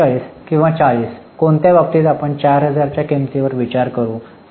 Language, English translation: Marathi, So, 47 or 40 in which case we will consider it at cost that is at 40,000